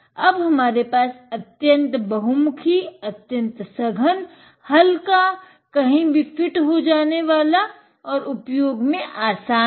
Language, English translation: Hindi, And there we have it, very versatile, very compact lightweight, fits in anywhere and very easy to use